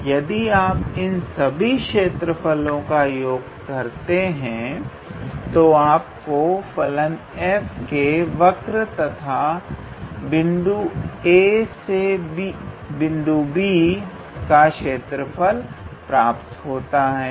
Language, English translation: Hindi, And if you sum all those areas and that will give you the area of the curve of the function f, between the points x equals to a to x equals to b